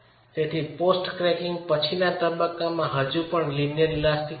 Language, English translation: Gujarati, So, we are in the post cracking phase but still linear elastic